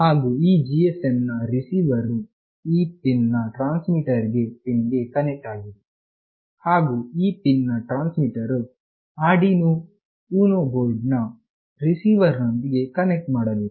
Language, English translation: Kannada, And the receiver of this GSM must be connected the transmitter of this pin, and the transmitter of this pin must be connected with the receiver pin of this Arduino board